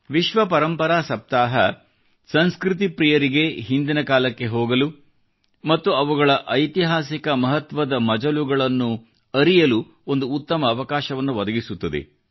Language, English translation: Kannada, World Heritage Week provides a wonderful opportunity to the lovers of culture to revisit the past and to know about the history of these important milestones